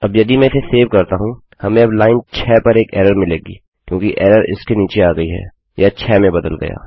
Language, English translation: Hindi, Now if I were to save that, we will now get an error on line 6 because the error has come down to it, that changes to 6